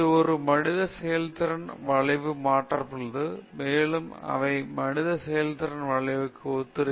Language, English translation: Tamil, So, this has been mapped on to a human performance curve and they say human performance curve also resembles this